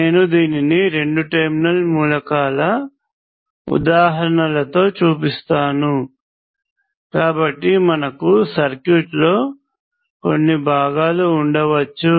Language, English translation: Telugu, I will show this with examples of two terminal elements, so we can have some components